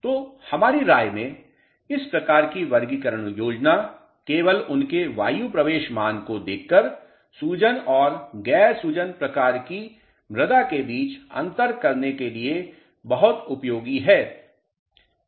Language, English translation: Hindi, So, in our opinion this type of a classification scheme is very useful for differentiating between swelling and non swelling type of soil just by looking at their air entry value